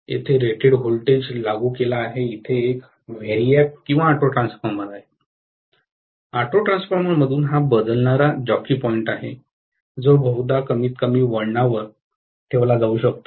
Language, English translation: Marathi, Rated voltage is applied here, from there there is a variac or auto transformer, from the auto transformer this is the variable jockey point which is going to probably be put at very very minimum number of turns